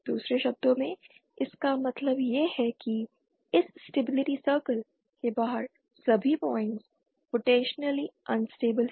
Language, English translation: Hindi, In other words what it means is all points outside this stability circle are potentially unstable